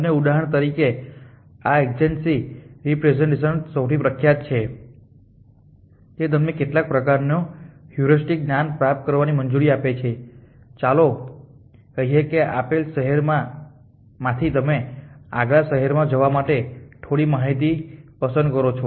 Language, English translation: Gujarati, And for example, this adjacency representation which is 1 of the most popular it allows it you some form of heuristic knowledge we says that from a given city you can makes some in form choices to where to go next city